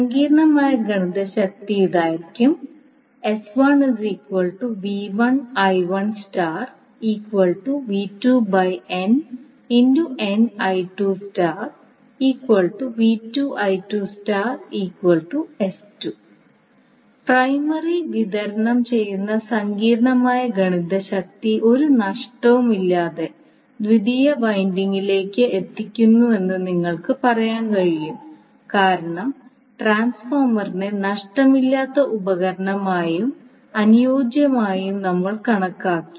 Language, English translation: Malayalam, So, what you can say that complex power supplied by the primary is delivered to the secondary winding without any loss because we have considered transformer as a lossless equipment and ideal